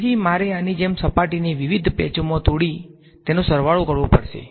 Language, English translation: Gujarati, So, I will have to break up the surface like this into various patches and sum it up